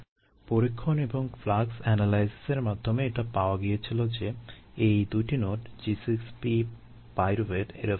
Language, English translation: Bengali, through experiments and flux analysis it was found that these two nodes, g six, p, pyruvate